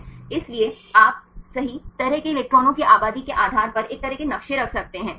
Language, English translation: Hindi, So, you can you have a kind of maps right depending upon the population of the electrons the crystal right